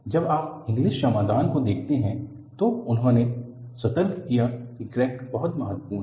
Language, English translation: Hindi, See, when you look at Inglis solution, he alerted crack is very important